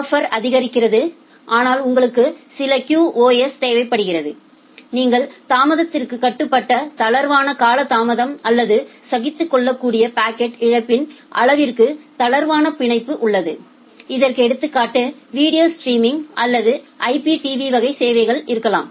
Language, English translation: Tamil, Buffering is supported, but you require certain QoS still you have a kind of loose delay on the loose bound on the delay or loose bound on the amount of packet loss that can be tolerated and that is example can be on demand video streaming or IPTV kind of services